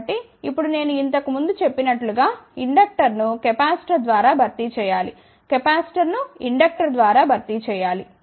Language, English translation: Telugu, So, now, as I mentioned earlier so, inductor is to be replaced by capacitor, capacitor is to be replaced by inductor